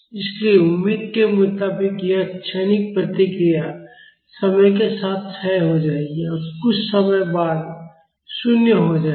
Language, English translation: Hindi, So, as expected this transient response will decay in time and become zero after some time